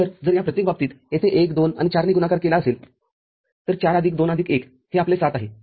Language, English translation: Marathi, So, if it is multiplied with 1, 2 and 4 here each of these cases, so 4 plus 2 plus 1 is your 7